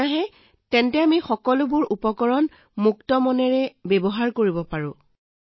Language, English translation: Assamese, Since, there is no bill, we can use everything with free mind